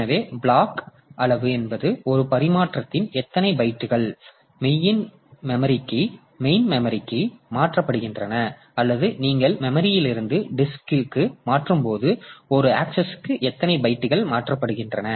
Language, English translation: Tamil, So, block size means in one transfer how many bytes are transferred to the main memory or when you are transferring from memory to disk how many bytes are transferred per axis